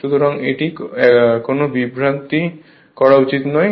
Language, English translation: Bengali, So, that should not be any confusion right